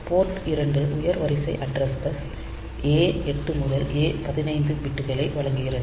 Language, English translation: Tamil, So, Port 2 is providing the higher order address bus A to A 15 bits